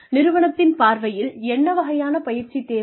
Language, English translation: Tamil, From the organization's point of view, what kind of training is required